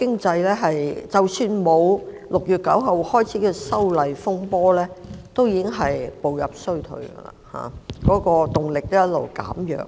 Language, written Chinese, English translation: Cantonese, 第一，即使沒有6月9日開始的"修例風波"，本港的經濟亦已步入衰退，動力一直在減弱。, First even without the turmoil arising from the Amendment Bill that started on 9 June the economy of Hong Kong has been slowing down and the impetus of growth on the wane